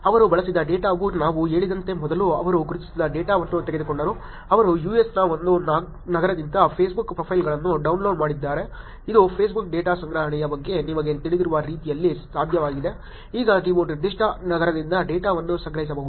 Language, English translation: Kannada, The data that they used was first as I said; they took the identified data, they downloaded the Facebook profiles from one city in the US which is possible in the way that you know about Facebook data collection now you could actually collect data from a particular city